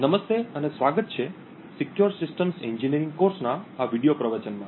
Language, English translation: Gujarati, Hello and welcome to this video lecture in the course for Secure Systems Engineering